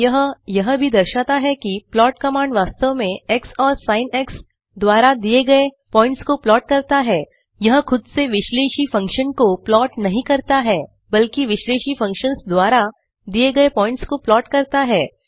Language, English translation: Hindi, This also indicates that the plot command actually plots the set of points given by x and sin and it doesnt plot the analytical function itself rather it plots the points given by Analytical functions